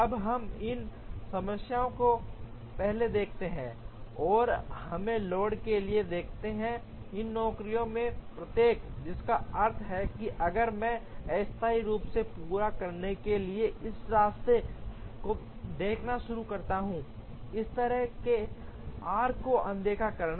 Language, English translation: Hindi, Now, let us look at this problem first and let us look at the load for each of these jobs, which means if I start looking at this path to completion, temporarily ignoring the these kind of arcs